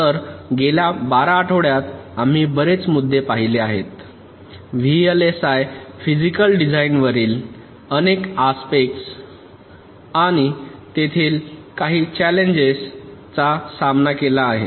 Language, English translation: Marathi, so over the last to vlsi we have seen lot of issues, lot of aspects on vlsi physical design and some of the challenges that are faced there in